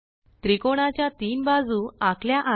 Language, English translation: Marathi, 3 sides of the triangle are drawn